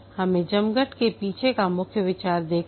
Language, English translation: Hindi, We have seen the main idea behind the scrum